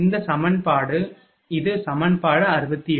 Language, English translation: Tamil, So, this is equation is 80